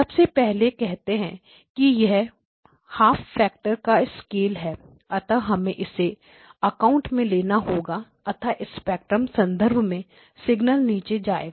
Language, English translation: Hindi, First of all says that there is a scale factor of one half, so we have to take that into account so basically the signal will go down in terms of spectrum